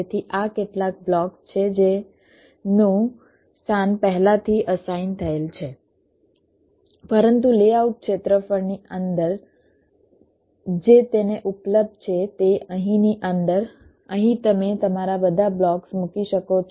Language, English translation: Gujarati, so these are some blocks whose positions are pre assigned, but within the layout layout area that is available to it in between here, within here, you can place all your blocks